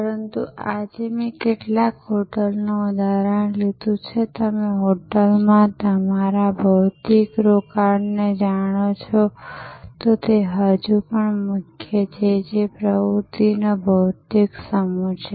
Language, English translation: Gujarati, But, today I have taken the example of a hotel except for some, you know your physical stay at the hotel which is still the core that remains a physical set of activities